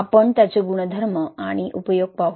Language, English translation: Marathi, We will look into its properties and applications